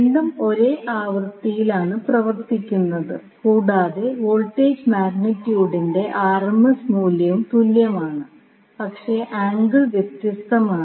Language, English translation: Malayalam, So, both are operating at same frequency but the and also the RMS value of the voltage magnitude is same, but angle is different